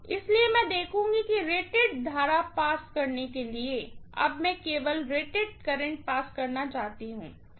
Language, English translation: Hindi, So, I would see that to pass rated current, now I want to pass only rated current, this is Irated